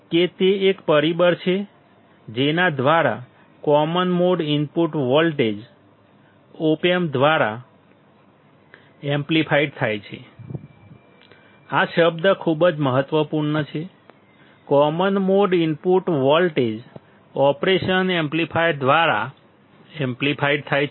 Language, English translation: Gujarati, That it is a factor by which the common mode input voltage is amplified by the Op amp; this word is very important, common mode input voltage is amplified by the operation amplifier